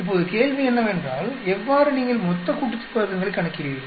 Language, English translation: Tamil, Now the question is how do you calculate total sum of squares